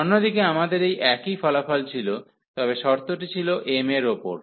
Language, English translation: Bengali, We had the similar results for the other one, but that was the condition was on m